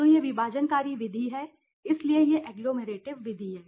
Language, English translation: Hindi, So, this is the divisive method, so divisive method so you are and this is the agglomerative method